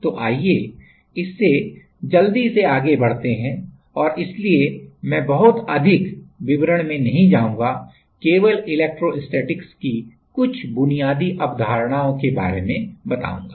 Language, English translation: Hindi, So, let us go through quickly and so, I will not go into very much details, just a few basic concepts of electrostatics